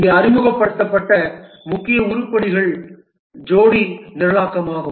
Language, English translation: Tamil, The main items that are introduced here is pair programming